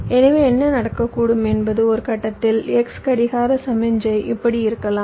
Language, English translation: Tamil, so what might happen is that in a point x the clock signal might be like this